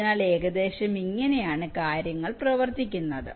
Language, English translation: Malayalam, so, roughly, this is how things work